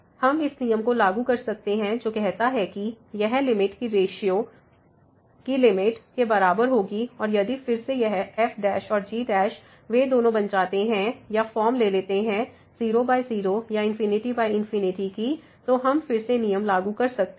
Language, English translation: Hindi, We can apply this rule which says that this limit will be equal to the limit of the ratios and if again this prime and prime they both becomes or takes the form by or infinity by infinity then we can again apply the rule